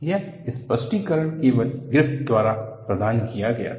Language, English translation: Hindi, That explanation was provided only by Griffith